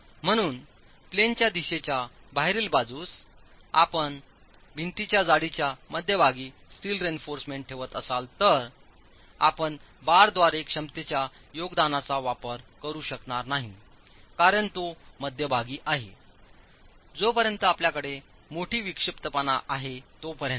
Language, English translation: Marathi, So, in the out of plane direction, if you are placing the steel reinforcement at the center line of the wall thickness, you are not going to be able to use the contribution to capacity by the bar because it is right in the center